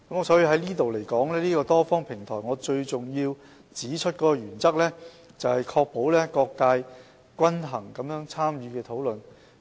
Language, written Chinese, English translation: Cantonese, 所以，就此而言，這個多方平台最重要的原則，是確保各界可均衡參與討論。, Hence in this connection the most important principle of this multi - party platform is to ensure that there is balanced participation from various sectors in the discussion